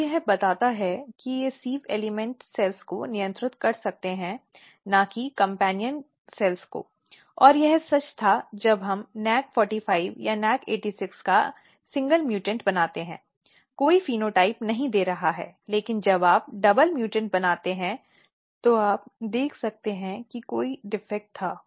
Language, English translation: Hindi, So, this tells that they might be they might regulating sieve elements cells not the companion cells and this was true when we make mutant single mutant of nac45 or nac86 not give any phenotype, but when you made double mutant what you can see that there was a defect here